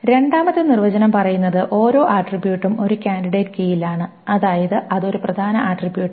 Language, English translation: Malayalam, The second definition says that every attribute is in a candidate key